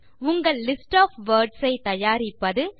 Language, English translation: Tamil, Create your own list of words